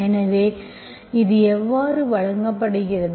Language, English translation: Tamil, So this is how it is given, so